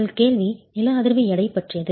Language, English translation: Tamil, Your question is on seismic weight